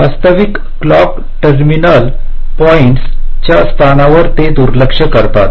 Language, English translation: Marathi, they do not ignore the locations of the actual clock terminal points